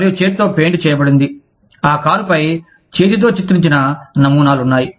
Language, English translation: Telugu, And, there is hand painted, there are hand painted designs, on the car